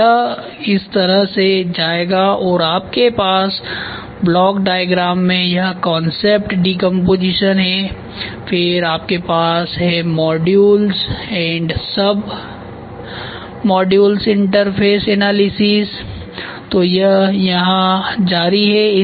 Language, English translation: Hindi, So, it will go like this and you have furthermore in the block diagram it is concept decomposition, then you have modules and sub modules interface analysis